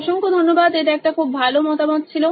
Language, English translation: Bengali, Thank you very much that was a great feedback